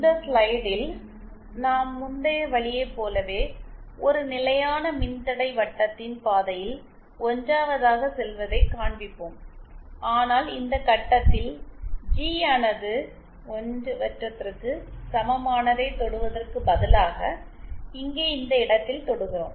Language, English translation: Tamil, In this slide we will show another path we are 1st going along a constant resistance circle like in the previous case but then instead of touching G equal to 1 circle at this point, here we touch at this point